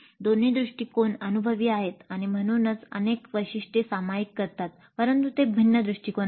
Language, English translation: Marathi, Both approaches are experience oriented and hence share several features but they are distinct approaches